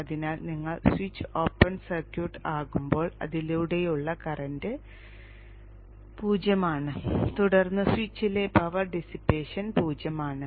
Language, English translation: Malayalam, So when you make the switch open circuit, the current through that is zero and then also the power dissipation across the switch is zero